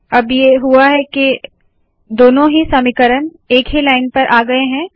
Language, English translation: Hindi, Now what has happened is that both the equations have come on the same line